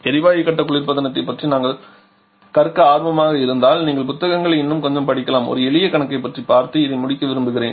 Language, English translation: Tamil, If you are interested about the gas phase recreation you can read the books a bit more I would like to finish this one by discussing a simple problem